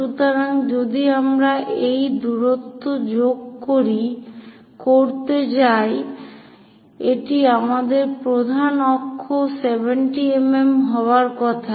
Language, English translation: Bengali, So, if we are going to add these two distances, it is supposed to give us major axis 70 mm